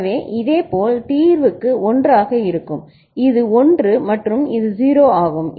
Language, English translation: Tamil, So, similarly for clearing will make it 1 this is 1 and this is 0